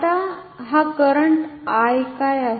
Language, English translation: Marathi, Now what is this current I